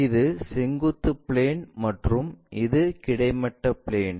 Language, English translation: Tamil, This might be our vertical plane and this is the horizontal plane